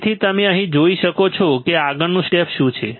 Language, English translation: Gujarati, So, you can see here right what is the next step